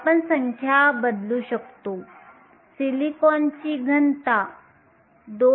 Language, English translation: Marathi, We substitute the numbers, density of silicon is 2